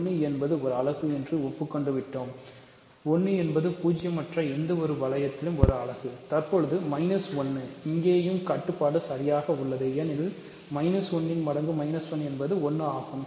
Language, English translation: Tamil, So, we agreed that 1 is a unit; 1 is a unit in any non zero ring, but minus 1 is also unit here right because minus 1 times minus 1 is 1